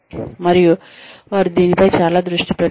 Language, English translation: Telugu, And, they are focusing on this, a lot